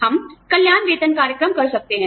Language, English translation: Hindi, We may institute, wellness pay programs